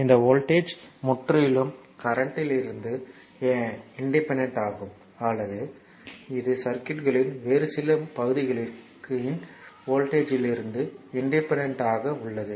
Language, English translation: Tamil, The voltage is completely independent of this voltage is completely independent of the current right or it is independent of the voltage of some other parts of the circuit right